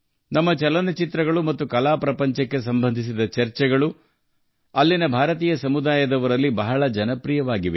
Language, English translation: Kannada, Our films and discussions related to the art world are very popular among the Indian community there